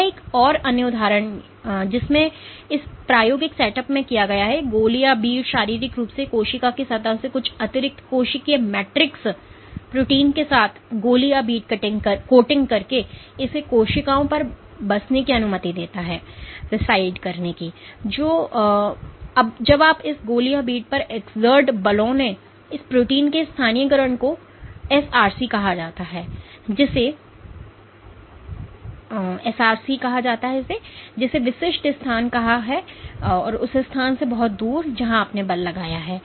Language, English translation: Hindi, This is another example in which what has been done in this experimental setup is a bead has been physically linked on top of a surface of the cell by coating the bead with some extrasellar matrix protein and allowing it to settle on the cells, and when you exert forces on this bead what you see is this localization of this protein called SRC as specific positions which are far away from the location at which you have exerted the force ok